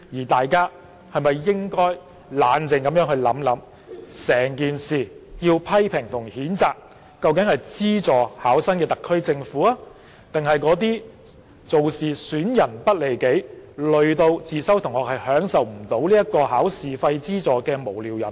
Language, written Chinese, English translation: Cantonese, 大家是否應該冷靜地想想，要批評和譴責的，究竟是資助考生的特區政府，還是那些意圖損人不利己、連累自修生未能受惠的無聊人呢？, Should people not calm down and think about whether the SAR Government which subsidizes the candidates or those fribbles intending to harm others without benefiting themselves and rob private candidates of their benefits are to be blamed and denounced?